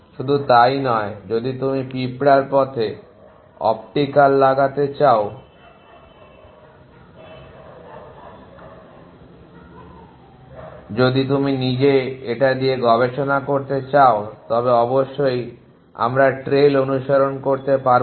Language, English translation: Bengali, Not only that if you go to put an optical in the pass of these ants if you own experiment then off course we cannot follow the trail